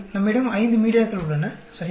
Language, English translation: Tamil, We have five media, right